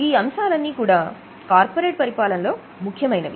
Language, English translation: Telugu, Now these are the main principles of corporate governance